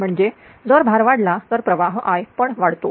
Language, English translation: Marathi, ah So that means, if load increases current I increases